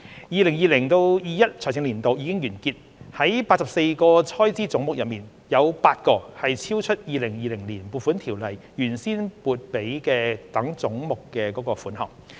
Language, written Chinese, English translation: Cantonese, " 2020-2021 財政年度已經完結，在84個開支總目中，有8個超出《2020年撥款條例》原先撥給該等總目的款項。, The financial year 2020 - 2021 has ended and 8 of the 84 Heads of Expenditure exceeded the sums originally appropriated for those Heads in the Appropriation Ordinance 2020